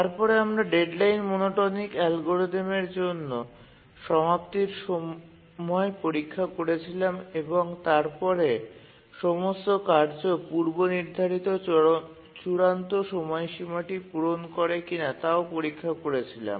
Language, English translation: Bengali, And we can do a completion time check for the deadline monotonic algorithm and check whether all the task set meets their first deadline